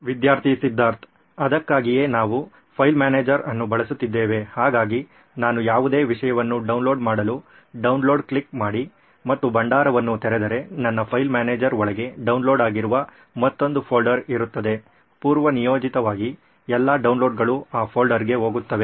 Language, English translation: Kannada, So that is why we are using a file manager, so I, if I click on download and open the repository to download any content I will have another folder inside my file manager which is downloads, all the downloads by default will go into that folder